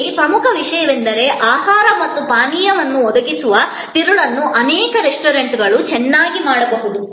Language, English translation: Kannada, Important thing here is that, the core of providing food and beverage can be very well done by many restaurants